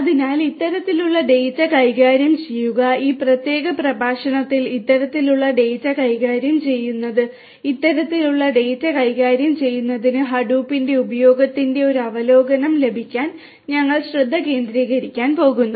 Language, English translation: Malayalam, So, managing this kind of data, managing this kind of data and managing this kind of data in this particular lecture we are going to focus on to get an overview of use of Hadoop to manage this kind of data right